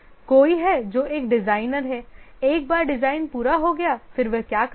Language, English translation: Hindi, Somebody who is a designer, once design is complete, what does he do